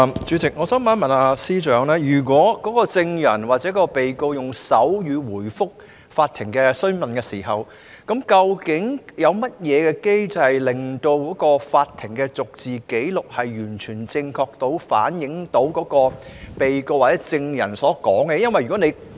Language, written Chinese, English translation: Cantonese, 主席，我想問司長，如證人或被告在法庭上用手語回覆詢問，究竟有甚麼機制，確保法庭的逐字紀錄完全正確反映該名被告或證人的陳述？, President I would like to ask the Chief Secretary When a witness or a defendant uses sign language to respond to enquiries in court is there any mechanism in place to ensure that the verbatim record of the court will fully and accurately reflect the statements made by the defendant or the witness?